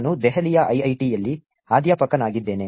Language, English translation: Kannada, I am faculty at IIIT, Delhi